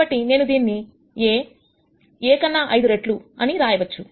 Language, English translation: Telugu, So, I could write A itself as 5 times A